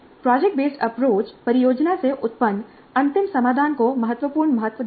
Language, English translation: Hindi, Project based approach attaches significant importance to the final solution resulting from the project